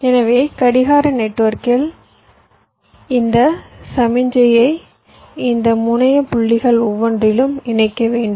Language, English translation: Tamil, so in my clock network i have to connect this signal to each of these terminal points